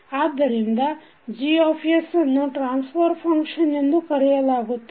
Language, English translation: Kannada, So Gs is called as forward transfer function